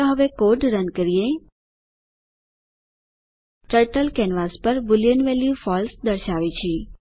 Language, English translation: Gujarati, Lets run the code now Turtle displays Boolean value true on the canvas